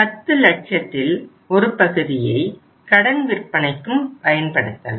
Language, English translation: Tamil, Part of the 10 lakhs can be used for funding the credit sales